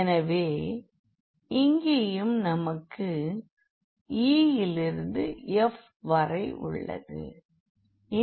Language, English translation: Tamil, So, here the e to f so, here also we have e to f